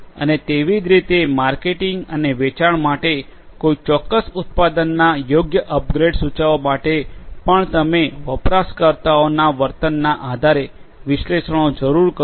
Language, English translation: Gujarati, And, similarly for marketing and sales also to suggest suitable upgrades of a particular product based on the user behavior you need analytics